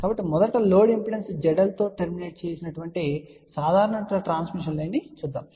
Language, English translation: Telugu, So, let us just see first a simple transmission line which has been terminated with a load impedance seidel